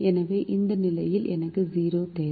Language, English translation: Tamil, so i need a zero in this position